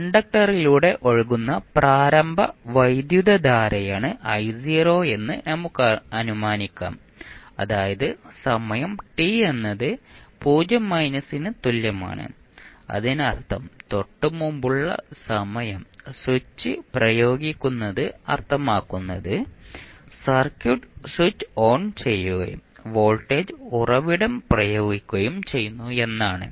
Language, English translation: Malayalam, Let us assume I naught naught is the initial current which will be flowing through the conductor that means at time t is equal to 0 minus means the time just before the application of the switch means the circuit is switched on and voltage source is applied